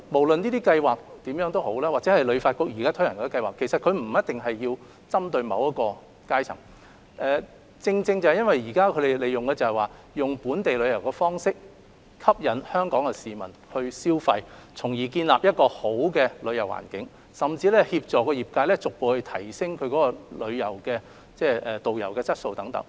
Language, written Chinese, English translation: Cantonese, 然而，這些計劃或旅發局現時推行的項目，其實並沒有針對某一階層，而是利用本地旅遊方式吸引香港市民消費，從而期望建立一個好的旅遊環境，甚至協助業界逐步提升導遊質素等。, However the relevant schemes or the scheme introduced by HKTB do not focus on a specific class of people . The objective is to attract Hong Kong residents to make spending through local tourism projects with a view to creating a better tourism environment or even assisting the trade to upgrade the quality of tour guides and so on . Actually regardless of the scale and size these projects will play their respective roles